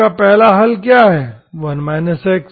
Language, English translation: Hindi, What is your solution, 1st solution what got is 1 minus x